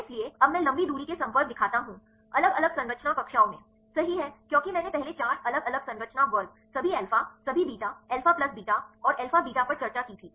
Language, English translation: Hindi, So, now I show the long range contacts, right at the different structure classes, right as I discussed earlier four different structure classes all alpha, all beta, alpha plus beta, and alpha beta